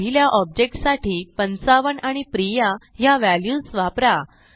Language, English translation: Marathi, Use 55 and Priya as values for first object